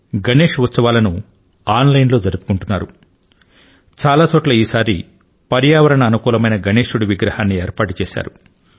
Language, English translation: Telugu, Even Ganeshotsav is being celebrated online at certain places; at most places ecofriendly Ganesh idols have been installed